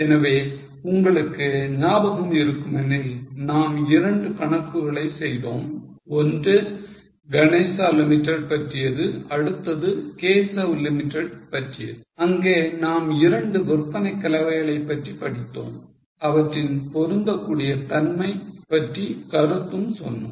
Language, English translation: Tamil, So, if you remember we had done two sums, one on Ganesh Limited and then on Keshav Limited where we try to study two sales mixes and comment on its on their suitability